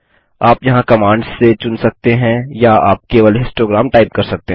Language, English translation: Hindi, You can select from the commands here or you can just type histogram